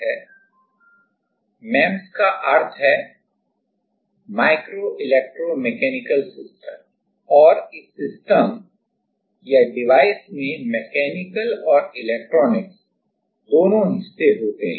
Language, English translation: Hindi, MEMS means micro electromechanical systems and this systems or devices have both the mechanical and electronics parts